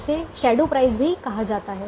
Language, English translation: Hindi, it's also called shadow price